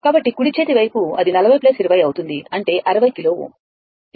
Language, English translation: Telugu, So, right hand side, it will be 40 plus 20; that is your 60 kilo ohm right